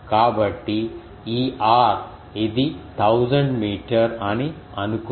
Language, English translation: Telugu, So, let us take that ah suppose this r this is thousand meter